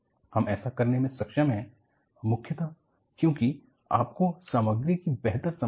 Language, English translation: Hindi, We have been able to do that, mainly because you have better understanding of material